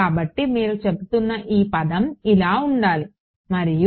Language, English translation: Telugu, So, this term you are saying should be like this and